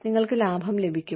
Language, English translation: Malayalam, You get a profit